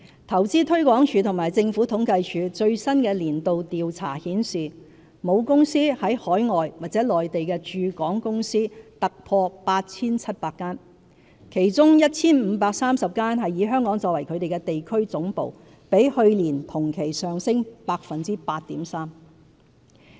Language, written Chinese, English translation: Cantonese, 投資推廣署和政府統計處最新的年度調查顯示，母公司在海外或內地的駐港公司突破 8,700 間，其中 1,530 間以香港作為地區總部，比去年同期上升 8.3%。, According to the latest annual survey jointly conducted by Invest Hong Kong and the Census and Statistics Department there are over 8 700 business operations in Hong Kong with parent companies situated overseas or in the Mainland . Among them 1 530 have their regional headquarters situated in Hong Kong representing an increase of 8.3 % as compared with the same period last year